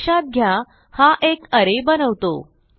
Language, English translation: Marathi, Remember this creates an array